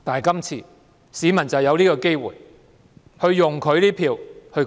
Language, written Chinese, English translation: Cantonese, 今次市民就有機會用選票發聲。, This time the public have an opportunity to voice their views through their votes